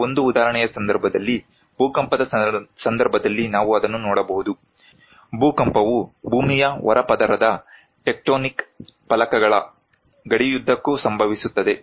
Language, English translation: Kannada, In case of just for an example, maybe we can see that in case of earthquake; earthquake occurs along the boundaries of the tectonic plates of the earth crust